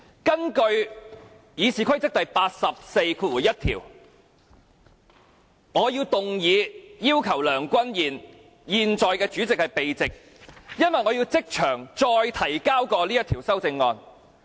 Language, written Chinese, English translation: Cantonese, 根據《議事規則》第841條，我動議要求梁君彥議員——現在的主席——避席，因為我要即場再提交這項修正案。, According to RoP 841 I move a motion for the withdrawal of Mr Andrew LEUNG the incumbent President . I do so because I am going to submit the amendment again now without notice